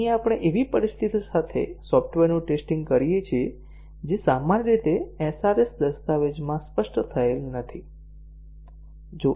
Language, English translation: Gujarati, So, here we test the software with situations that are not normally specified in the SRS document